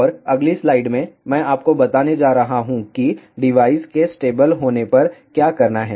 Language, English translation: Hindi, And in in the next slide, I am going to tell you what to do when the device is stable